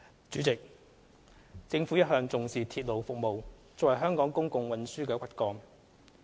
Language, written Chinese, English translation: Cantonese, 主席，政府一向重視鐵路服務作為香港公共運輸的骨幹。, President the Government has all along attached importance to railway service as the backbone of Hong Kongs public transport system